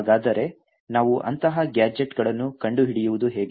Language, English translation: Kannada, So how do we find such gadgets